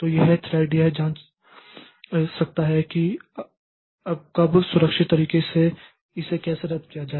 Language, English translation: Hindi, So that thread can check like what are the how to how to cancel it